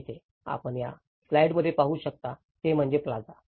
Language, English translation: Marathi, In here, what you can see in this slide is the plazas